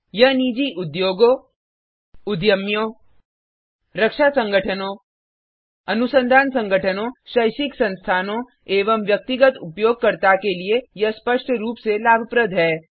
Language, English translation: Hindi, This is obvious advantage for Private Industries, Entrepreneurs, Defence Establishments, Research Organisations, Academic Institutions and the Individual User